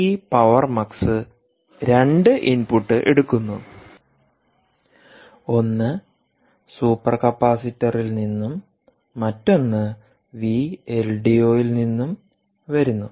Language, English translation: Malayalam, here this power mux essentially takes two input: one coming from the super capacitor and the other coming from v l d o